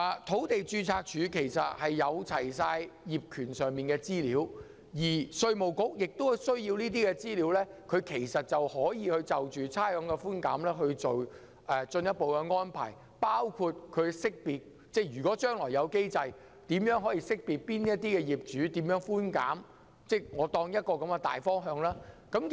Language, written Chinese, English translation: Cantonese, 土地註冊處備有所有物業業權資料，稅務局如能取閱這些資料，便可就差餉寬減作進一步的安排，包括設立機制識別哪些業主可以得到甚麼寬減。, The Land Registry keeps the information on the ownership of all properties and IRD can make a further arrangement for rates concession if it has access to such information including putting in place a mechanism to ascertain which owners can get what concessions